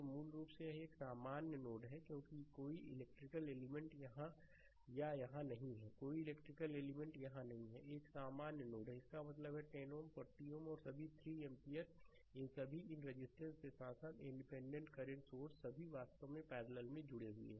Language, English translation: Hindi, So, basically this is a this is a common node because no electrical element is here or here, no electrical element is here, it is a common node; that means, 10 ohm, 40 ohm and all 3 ampere, they all these all these resistors as well as the independent current source all actually connected in parallel, right